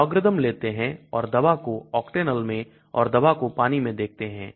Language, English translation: Hindi, You take logarithm and see a drug in Octanol/drug in water